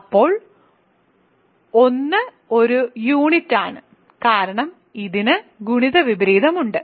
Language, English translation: Malayalam, Then 1 is a unit right, 1 is a unit because it has a multiplicative inverse